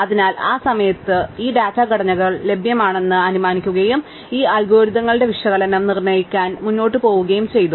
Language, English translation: Malayalam, So, at that time we assume that these data structures were available and we went ahead and did an analysis of these algorithms